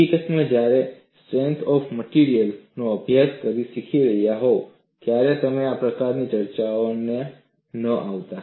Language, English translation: Gujarati, In fact, when you are learning a course in strength of materials, you would not have come across discussions like this